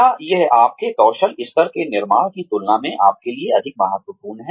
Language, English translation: Hindi, Is it more important for you than, building your skill levels